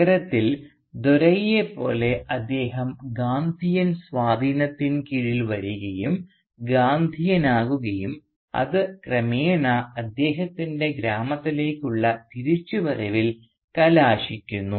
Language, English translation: Malayalam, And he also just like Dore came under Gandhian influence in the city and became a Gandhi man which eventually resulted in his return to the village